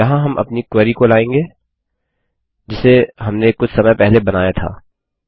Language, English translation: Hindi, Here we will call our new query which we designed a few minutes ago